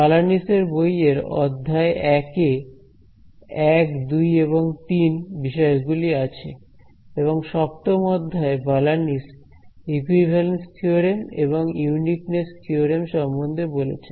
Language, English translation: Bengali, So, chapter 1 of Balanis will talk about topics 1, 2 and 3 and chapter 7 of Balanis will tell you about equivalence theorems and uniqueness theorems